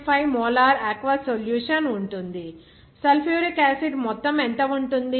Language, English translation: Telugu, 5 molar aqueous solution of sulfuric acid will contain, what will be the amount of sulfuric acid